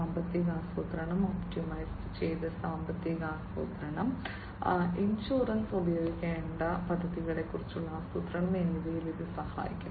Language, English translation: Malayalam, And this will help in financial planning, optimized financial planning and insurance, you know planning about the insurance schemes that will have to be used